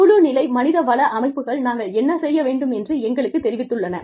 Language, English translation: Tamil, Team level HR systems, have informed us, as to what, we need to do